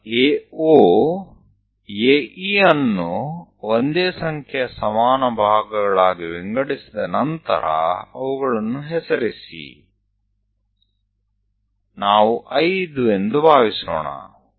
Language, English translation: Kannada, Then name after dividing that AO, AE into same number of equal parts, let us say 5